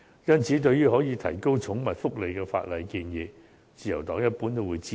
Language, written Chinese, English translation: Cantonese, 因此，對於可以提高寵物福利的法例建議，自由黨一般都會支持。, In this connection the Liberal Party generally supports legislative proposals for enhancing the welfare of pets . Cap